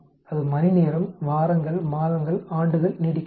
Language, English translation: Tamil, Will it last for hours, weeks, months, years